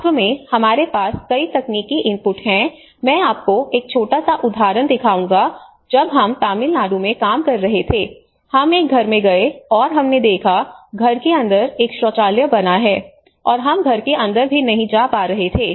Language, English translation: Hindi, So, in fact, we have many technical inputs you know I will show you a small example when we were working in Tamil Nadu, we went to a house and we could able to see that we have built a toilet inside the house and the moment we went we were unable to get even inside the house